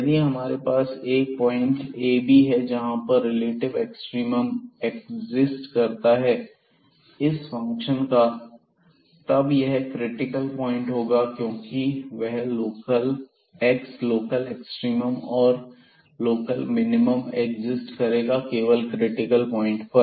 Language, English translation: Hindi, So, if we have a point a b where the relative extremum exists of this function then definitely that has to be a critical point because those x, local extremum and local minimum will exist only on the critical points